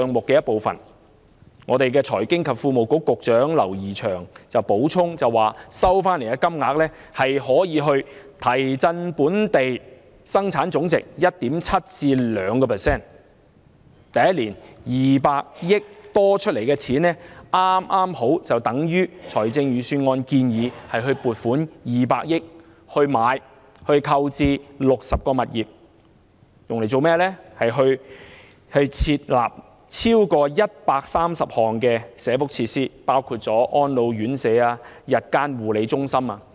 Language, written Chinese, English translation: Cantonese, 財經事務及庫務局局長劉怡翔補充，收回的金額可以提振本地生產總值 1.7% 至 2%， 第一年多出的200億元剛好相等於預算案建議撥款200億元購置60個物業，以供設立超過130項社福設施，當中包括安老院舍、日間護理中心等。, Mr James Henry LAU the Secretary for Financial Services and the Treasury added that the recovered amount can boost local Gross Domestic Product by 1.7 % to 2 % and the 20 billion recovered in the first year is equivalent to the amount proposed in the Budget for the purchase of 60 properties for accommodating more than 130 welfare facilities such as elderly centres and day child care centres